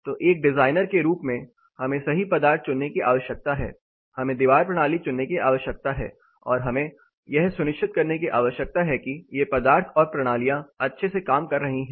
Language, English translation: Hindi, So, you know as a designer we need to choose materials we need to choose wall system and we have to also ensure these materials or the systems or components are performing well